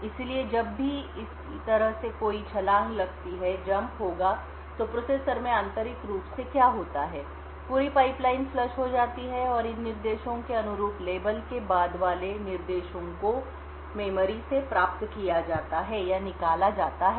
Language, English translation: Hindi, So, whenever there is a jump like this what would happen internally in a processor is that the entire pipeline would get flushed and new instructions corresponding to these instructions following the label would get fetched from the memory